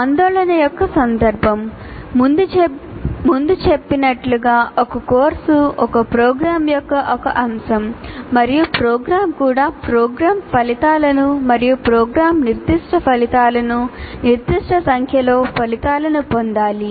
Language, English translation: Telugu, As we all mentioned earlier, a course is an element of a program and the program itself has to meet a certain number of outcomes, namely program outcomes and program specific outcomes